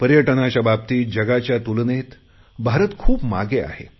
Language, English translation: Marathi, India lags far behind in tourism when compared to the world